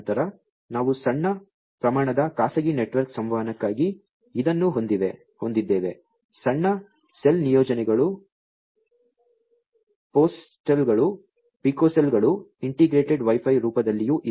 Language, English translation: Kannada, Then we have this you know for small scale private network communication, small cell deployments are also there in the form of you know femtocells, picocells, integrated Wi Fi and so on